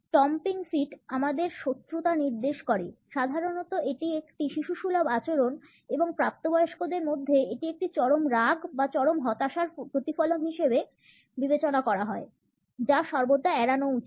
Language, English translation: Bengali, A stomping feet suggests our hostility normally it is considered to be a childish behaviour and in adults; it is a reflection of an extreme anger or an extreme disappointment which should always be avoided